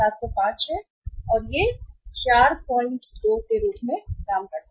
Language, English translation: Hindi, This is 5705 and this works out as uh 4